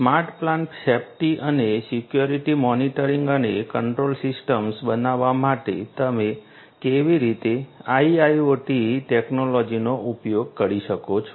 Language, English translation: Gujarati, How you could use IIoT technologies to make smart plant safety and security monitoring and control system